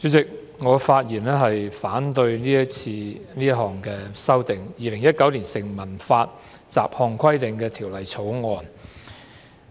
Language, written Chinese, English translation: Cantonese, 主席，我發言反對《2019年成文法條例草案》所提出的修訂。, President I rise to speak against the amendments proposed in the Statute Law Bill 2019 the Bill